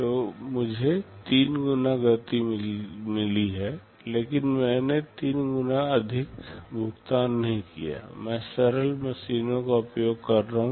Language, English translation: Hindi, So, I have got a 3 time speed up, but I have not paid 3 times more, I am using simpler machines